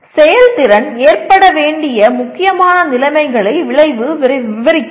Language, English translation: Tamil, The outcome describes the important conditions if any under which the performance is to occur